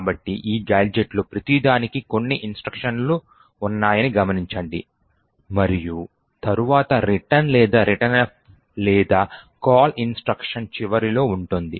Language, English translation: Telugu, Okay, so note that the each of these gadgets has a few instructions and then has a return or a returnf or call instruction at the end